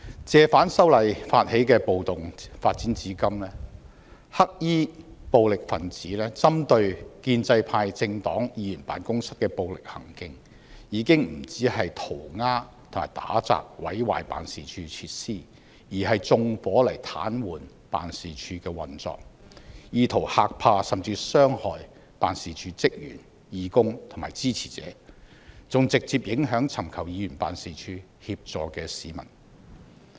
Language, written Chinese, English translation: Cantonese, 借反修例發起的暴動發展至今，黑衣暴力分子針對建制派政黨議員辦事處的暴力行徑，已經不止塗鴉和打砸、毀壞辦事處設施，而是縱火來癱瘓辦事處的運作，意圖嚇怕甚至傷害辦事處職員、義工及支持者，還直接影響尋求議員辦事處協助的市民。, Since riots against the proposed legislative amendments have taken place the violent acts of black - clad rioters have gone beyond daubing graffiti and vandalizing the facilities of pro - establishment Members offices . They have set fire to paralyse office operations in an attempt to scare or even injure staff of Members offices volunteers and supporters of Members and have directly impacted people who sought assistance from Members offices